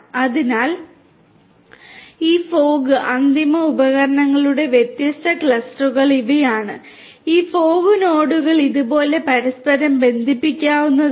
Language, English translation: Malayalam, So, these are the different different clusters of these fog and end devices in this manner and these fog nodes they themselves could be interconnected like this right